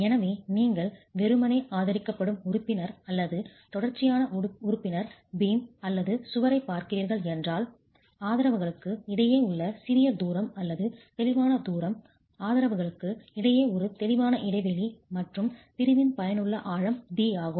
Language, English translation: Tamil, So, if you are looking at a simply supported member or a continuous member, a beam or a wall, you use the smaller of the distance between the supports or the clear distance, a clear span between the supports plus an effective depth D of the section itself